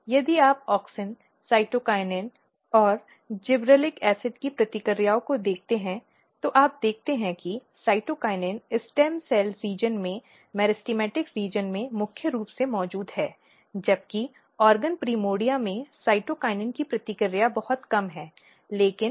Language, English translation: Hindi, If you look the responses of auxin cytokinin and gibberellic acid what you see that, cytokinin is very dominantly present in the meristematic region in the stem cell region whereas, the response of cytokinin in organ primordia is very very low, but auxin has about opposite pattern